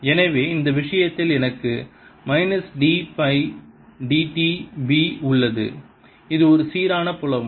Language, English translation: Tamil, so i have minus d by d, t of b in this case it's a uniform feel